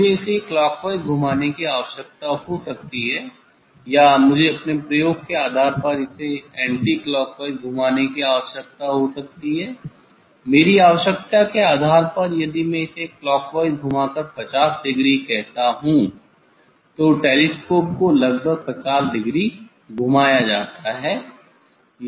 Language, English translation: Hindi, I may need to rotate it clockwise or I may need to rotate it anticlockwise depending on my experiment, depending on my demand if I rotate it clockwise by 50 degree say telescope is rotated by 50 degree approximately